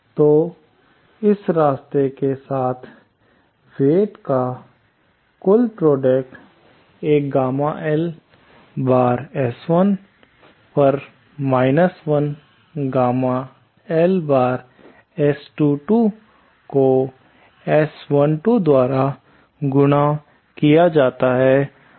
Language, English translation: Hindi, So, along this path, the total product of weights is one gamma L times S21 1 gamma L S22 multiplied by S12